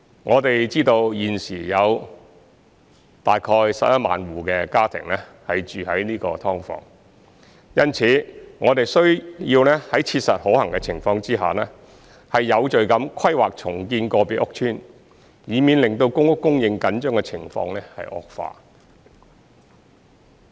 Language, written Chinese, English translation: Cantonese, 我們知道現時有大概11萬戶家庭住在"劏房"，因此，我們需要在切實可行的情況下，有序地規劃重建個別屋邨，以免令公屋供應緊張的情況惡化。, We are aware that about 110 000 households are currently living in subdivided units . We therefore need to make orderly planning for the redevelopment of individual estates as far as practicable so as to avoid aggravating the tight supply of PRH